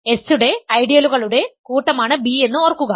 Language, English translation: Malayalam, Remember B is the set of ideals of S